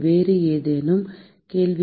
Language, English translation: Tamil, Any other question